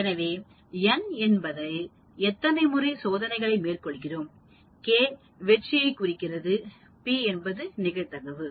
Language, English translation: Tamil, So, n trials, k successes, p is the probability